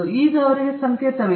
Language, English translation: Kannada, Now they have a symbol